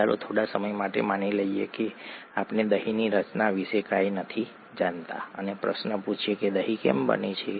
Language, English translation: Gujarati, Let us assume for a while that we know nothing about curd formation and ask the question, why does curd form